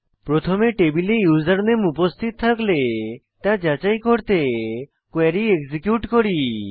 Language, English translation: Bengali, First we execute the query to check if the username exists in the table